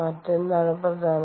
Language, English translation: Malayalam, what else is important